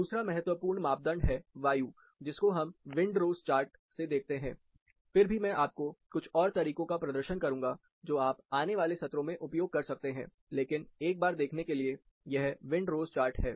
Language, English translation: Hindi, Another important parameter, the wind, though we can look at elaborate wind rose chart, I will demonstrate a few tools, which you can use in the following sessions, but to take a quick look at it, this is a wind rose diagram